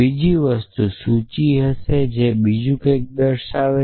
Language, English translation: Gujarati, The other thing would be a list could be a something else